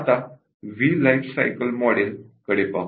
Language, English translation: Marathi, Now, let us look at the V Life Cycle Model